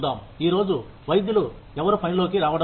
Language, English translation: Telugu, No doctors are coming into work, today